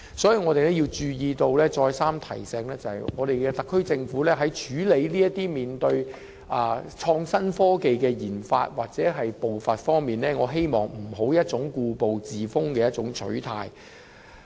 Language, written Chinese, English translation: Cantonese, 所以，我們再三提醒特區政府在處理創新科技的研發或步伐方面，不要抱持故步自封的取態。, This is why we have time and again reminded the SAR Government not to adopt an attitude of resting on its laurels and refusing to make progress in handling RD for innovation and technology or in the pace of work